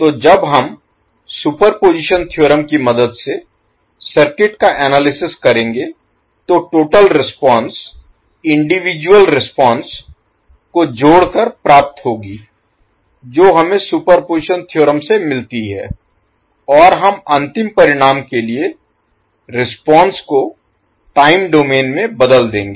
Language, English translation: Hindi, So when we will analyze the circuit with the help of superposition theorem the total response will be obtained by adding the individual responses which we get from the superposition theorem and we will convert the response in time domain for the final result